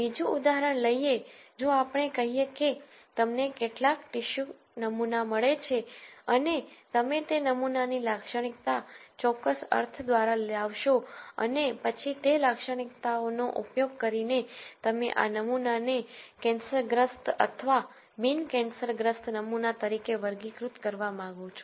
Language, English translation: Gujarati, Another example would be if let us say you get some tissue sample and you characterize that sample through certain means and then using those characteristics you want to classify this as a cancerous or a non cancerous sample